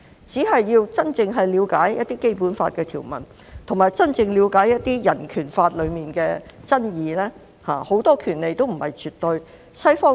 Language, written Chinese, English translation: Cantonese, 只要真正了解《基本法》的條文，以及真正了解人權法的爭議，便知道很多權利也不是絕對的。, Only if it genuinely understands the provisions in the Basic Law and truly understands the controversies concerning the Bill of Rights will it know that many rights are not absolute